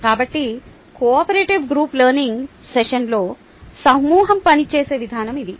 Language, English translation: Telugu, so this is the way a group works during the cooperative group learning session